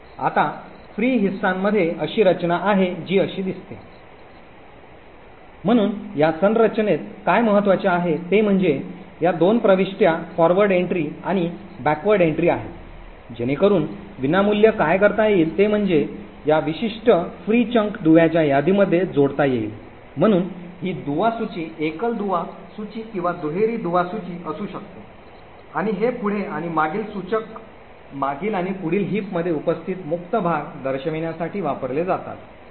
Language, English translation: Marathi, Now the free chunk has a structure which looks like this, so what is important in this structure are these 2 entries the forward entry and the back entry, so essentially what free is doing is that it could add this particular free chunk into a link list, so this link list could be either a single link list or a double link list and this forward and back pointers are used to point to the previous and the next free chunk present in the heap